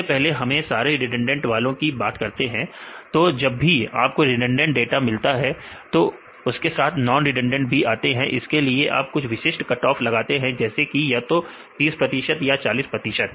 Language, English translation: Hindi, So, first we take a the all the redundant ones, if we get the redundant data then we need to get the non redundant ones right or you can get the non redundant, but here they use a specific cut off, either 30 percent or 40 percent right